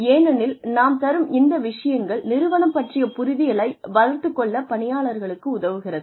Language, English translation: Tamil, So, it is always important, because these things help the employee, develop an understanding of the organization